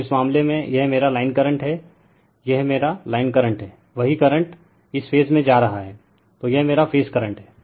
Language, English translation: Hindi, So, in this case, this is my line current, this is my line current, same current is going to this phase, so this is my phase current